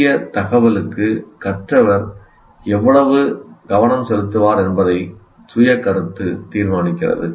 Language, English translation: Tamil, So self concept determines how much attention, learner will give to new information